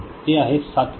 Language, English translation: Marathi, So, this is 7 volt and this is 7 volt